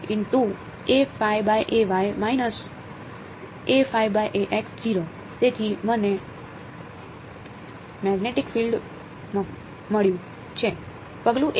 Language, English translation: Gujarati, So, I have got the magnetic field, at step 1